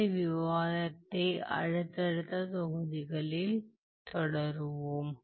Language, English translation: Tamil, We will continue this discussion in the subsequent modules